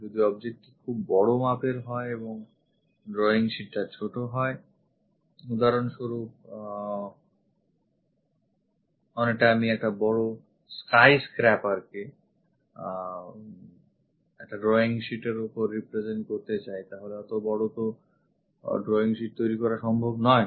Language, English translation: Bengali, If the object is very large and the drawing sheet is small for example, like I would like to represent a big skyscraper on a drawing sheet it is not possible to construct such kind of big drawing sheets